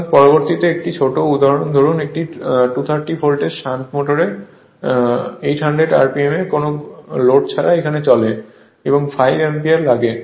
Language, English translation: Bengali, So, next take one small example suppose a 230 volts shunt motor runs at 800 rpm on no load and takes 5 ampere